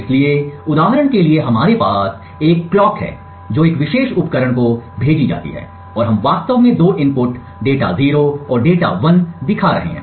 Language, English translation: Hindi, So for example over here we have a clock which is sent to a particular device and we have actually showing two inputs data 0 and data 1